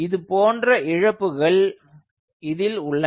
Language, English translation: Tamil, so those kind of losses are there